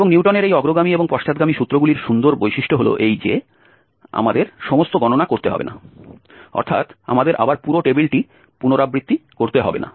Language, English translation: Bengali, And the beauty of this Newton's forward and the backward formulation is that we do not have to do all the calculations, we do not have to repeat the whole table again, only we will add the last row in each column